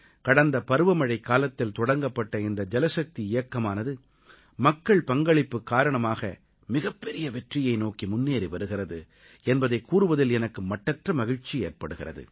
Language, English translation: Tamil, It gives me joy to let you know that the JalShakti Campaign that commenced last monsoon is taking rapid, successful strides with the aid of public participation